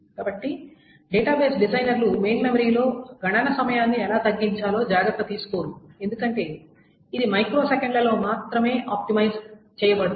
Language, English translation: Telugu, So the database designers essentially do not take care of how to reduce the main memory time because it's only optimizing on the microseconds